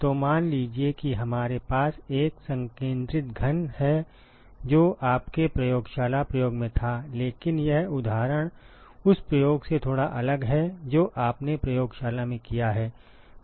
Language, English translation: Hindi, So suppose if we have a concentric cube which is what you had in your lab experiment, but this example is slightly different from the experiment that you have done in the lab